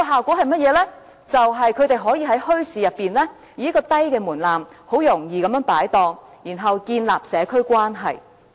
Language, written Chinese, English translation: Cantonese, 便是他們可以在墟市中，以較低門檻很容易擺檔，然後建立社區關係。, The answer is that they can easily trade in a bazaar with a low threshold and in turn build up connections in local communities